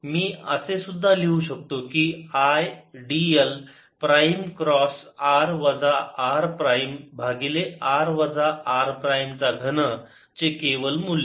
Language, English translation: Marathi, if there's a current i, i can even write i d l prime cross r minus r prime over modulus r minus r prime cubed